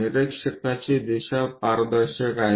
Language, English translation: Marathi, The observer direction is transparent